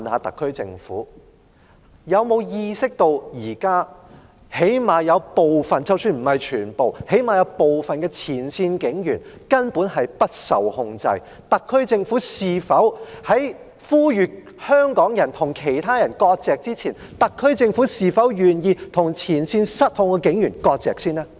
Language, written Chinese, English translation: Cantonese, 特區政府有沒有意識到現時——即使不是全部——有部分前線警員根本不受控制，特區政府呼籲香港人與其他人割席之前，是否願意先與前線失控的警員割席呢？, Is the SAR Government aware that some frontline police officers even not all are out of control presently? . Before calling on Hongkongers to sever ties with others is the SAR Government prepared to sever ties with frontline police officers who have gone out of control?